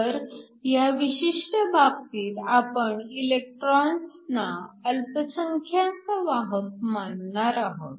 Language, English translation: Marathi, So, in this particular case, we are going to take electrons to be the minority carriers